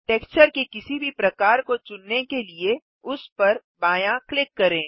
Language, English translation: Hindi, To select any texture type just left click on it